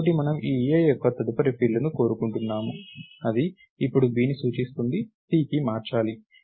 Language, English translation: Telugu, So, what we want us this a’s next field which is now pointing to b should change to c